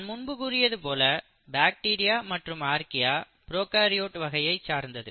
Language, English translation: Tamil, As I said bacteria and Archaea belong to prokaryotes, right